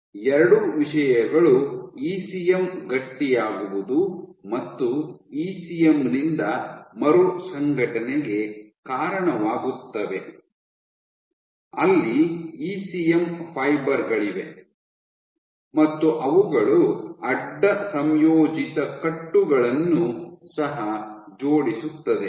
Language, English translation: Kannada, Both these things lead to ECM Stiffening and reorganization by ECM reorganization where you form where you have ECM fibers form cross linked bundles which also are aligned